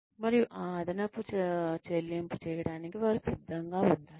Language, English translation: Telugu, And, one has to be prepared, to make that extra payment